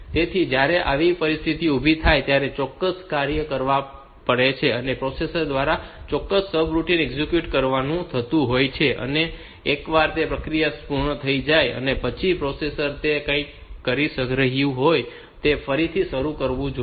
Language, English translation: Gujarati, So, when such situation occurs that particular service has to be done or particular routine has to be executed by the processor and once that processing is over, the processor should resume whatever it was doing